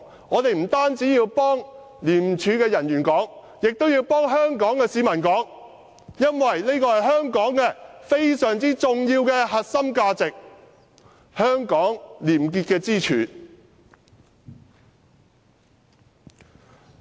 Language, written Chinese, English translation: Cantonese, 我們不單要替廉署人員發聲，也要替香港市民發聲，因為這是香港非常重要的核心價值，也是廉潔的支柱。, We have to speak up not only for the ICAC officials but also for Hong Kong people because this is a very important core value of Hong Kong and it is also the pillar of ICACs probity